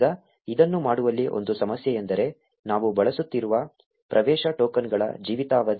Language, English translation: Kannada, Now one problem in doing this is the lifetime of the access tokens that we are using